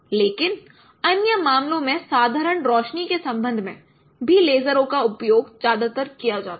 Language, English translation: Hindi, But in other cases also lasers are mostly used compared to with respect to the ordinary lights